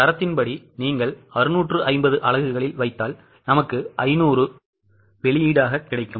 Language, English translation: Tamil, As per the standard, if you put in 650 units, you get output of 500